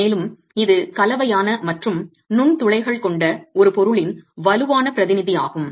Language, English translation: Tamil, And this is strongly representative of a material that is composite and porous in its constituents